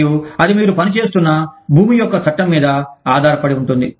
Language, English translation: Telugu, And, that depends on, the law of the land, that you are operating in